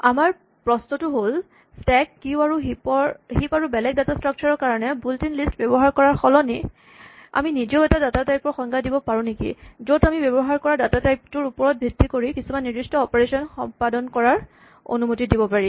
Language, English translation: Assamese, Our question is, that instead of using the built in list for stacks, queues and heaps and other data structures can we also defined a data type in which certain operations are permitted according to the type that we start with